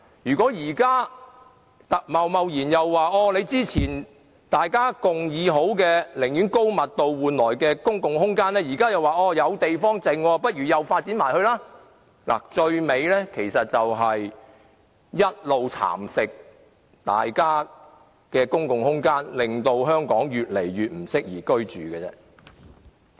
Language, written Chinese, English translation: Cantonese, 如果現時貿然變更之前大家寧願以高密度換取公共空間的共識，現在以"還有地方"為由繼續發展公共空間，最終大家的公共空間只會一直被蠶食，令香港越來越不適宜居住。, If the Government hastily changes our earlier consensus on choosing high - density development to save room for public space with the excuse that there is still space left our public space will continue to be nibbled away and Hong Kong will become an even less desirable place for living